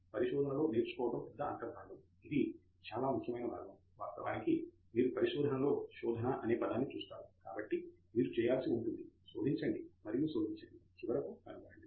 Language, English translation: Telugu, Big integral part of research is learning; that is a very important part in fact you see the term search in research so you have to search and discover